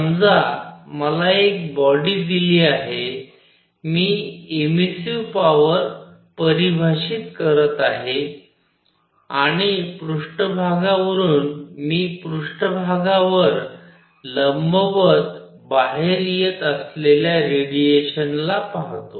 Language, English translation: Marathi, Suppose I am given a body, I am defining emissive power and from a surface I look at the radiation coming out perpendicular to the surface